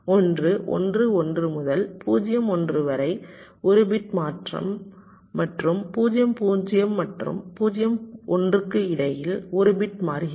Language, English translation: Tamil, and one is between one, one and zero, one, one bit change and between zero, zero and zero, one, one bit changing